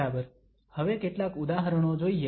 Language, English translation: Gujarati, Okay, let's go through some examples now